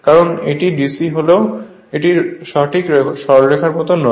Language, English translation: Bengali, Because it is DC but it is not exactly as a straight line